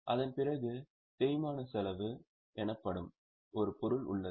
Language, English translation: Tamil, After that, there is an item called as depreciation expense